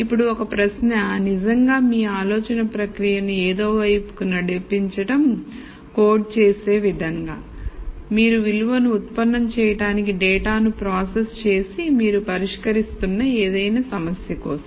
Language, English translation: Telugu, Now the question really is to then drive your thought process towards something that is codable, something that you can process the data with to derive value to do any problem that you are solving and so on